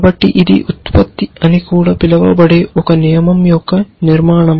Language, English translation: Telugu, So, this is the structure of a rule also known as a production